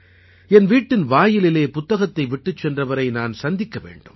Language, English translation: Tamil, I should meet the one who has left the book outside my home